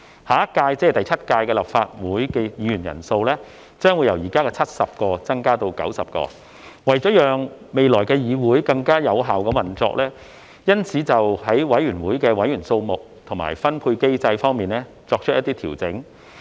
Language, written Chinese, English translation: Cantonese, 下一屆立法會議員人數將會由現時的70位增加至90位，為了讓未來的議會更有效運作，因此在委員會的委員數目和分配機制方面作出一些調整。, As the number of seats in the next term the seventh of the Legislative Council will increase from the existing 70 to 90 some adjustments have been made to the number and mechanism for allocation of committee seats for more efficient operation of the Council in the future